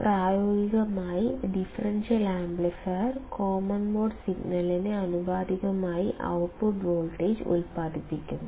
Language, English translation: Malayalam, Practically, the differential amplifier produces the output voltage proportional to common mode signal